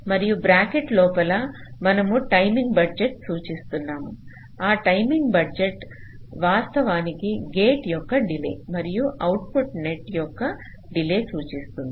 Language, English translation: Telugu, this is the notation we use and within bracket we are showing the timing budget, that that timing budget actually will indicate the delay of the gate plus delay of the output net